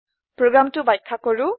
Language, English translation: Assamese, Explain the program